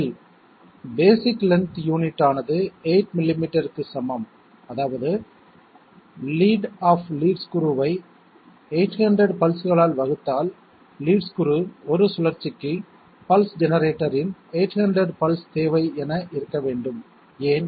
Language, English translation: Tamil, Answer is basic length unit is equal to 8 millimetres that means the lead of the lead screw divided by 800 pulses, one rotation of the lead screw must be requiring 800 pulses of the pulse generator, why so